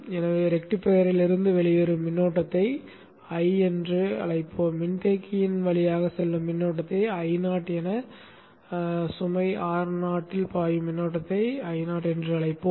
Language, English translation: Tamil, So the current that is coming out of the rectifier you will call it as I, the current that goes through the capacitor as I see, the current that flows into the load R0 as I0